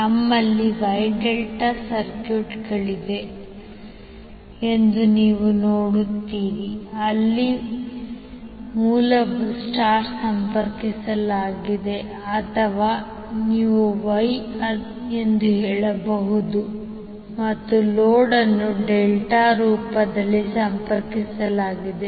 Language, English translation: Kannada, So you will see there we have wye delta circuits where the source is connected in star or you can say wye and load is connected in delta form